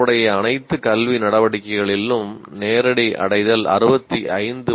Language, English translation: Tamil, Direct attainment on all relevant academic activities, it is 65